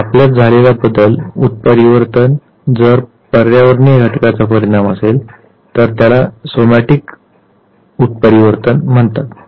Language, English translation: Marathi, If you have change, a mutation which is a consequence of an environmental factor then it is called as somatic mutation